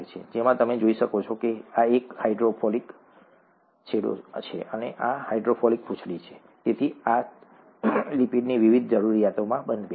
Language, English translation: Gujarati, As you can see this is a hydrophilic end and this is a hydrophobic tail, so this fits into the various needs of a lipid